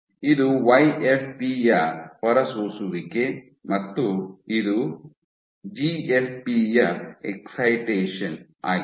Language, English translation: Kannada, So, this is emission of YFP and this is excitation of GFP